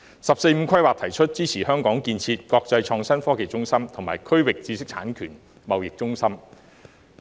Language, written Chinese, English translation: Cantonese, 《十四五規劃綱要》提出支持香港建設國際創新科技中心和區域知識產權貿易中心。, The Outline of the 14th Five - Year Plan puts forward the support for Hong Kong to develop into an international innovation and technology IT hub as well as a regional intellectual property trading centre